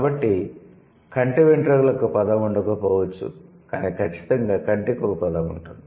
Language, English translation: Telugu, So, maybe there wouldn't be a word for eyelashes, but definitely there would be word, there would be a word for eye